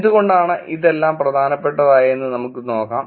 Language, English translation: Malayalam, Now let us look at why all this matters